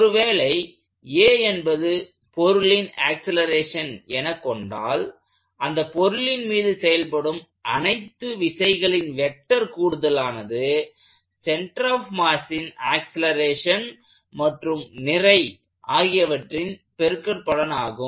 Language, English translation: Tamil, So, if a is the acceleration of this body, we are going to write the sum of all forces acting on the body, sum of all vector forces equals mass times the acceleration of the center of mass, the vector